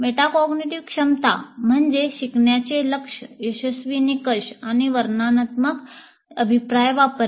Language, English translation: Marathi, Metacognitive ability means using learning goals, success criteria, and descriptive feedback